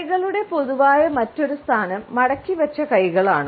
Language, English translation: Malayalam, Another commonly held position of hands is that of folded hands